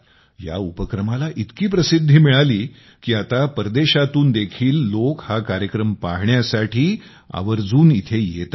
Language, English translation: Marathi, There is so much talk of this change, that many people from abroad have started coming to see it